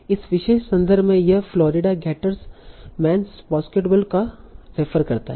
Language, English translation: Hindi, In this particular context, it refers to Florida Giders, man's basketball